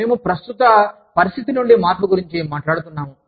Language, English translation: Telugu, We talk about, a shift from the current situation